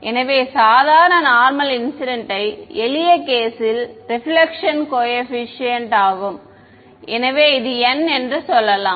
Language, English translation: Tamil, So, let us say normal incidence simple case reflection coefficient is n minus 1 by n plus 1 this is n right